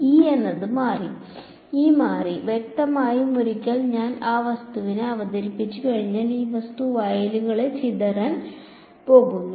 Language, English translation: Malayalam, E has changed; obviously, once I introduce an that object, that object is going to scatter the fields